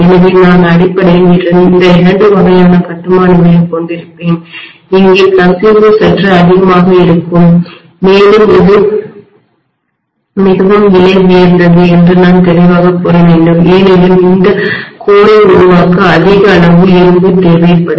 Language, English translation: Tamil, So I will have basically these two types of construction, here the leakage will be slightly more and I should say very clearly this is more expensive because more amount of iron will be needed to construct this core, right